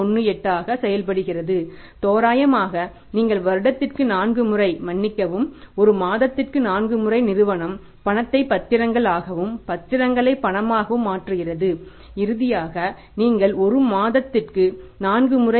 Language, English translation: Tamil, There are the four transactions in a year or sorry in a month and four times in a month the firm is converting cash into securities and securities into cash because this 4